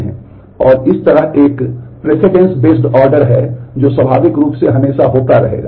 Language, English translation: Hindi, And in this way there is a precedence based ordering that will naturally always happen